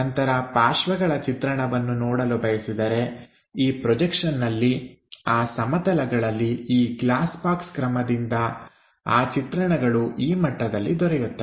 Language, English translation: Kannada, Then side view if we are going to look at it the projections onto that plane we have to get for this glass box method then that view comes at this level